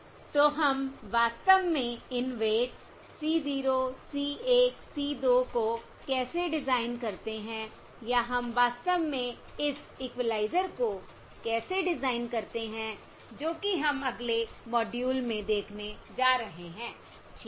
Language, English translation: Hindi, So how exactly do we design these weights: c 0, c, 1, c, 2, or how exactly we design this equaliser that we are going to look at the next module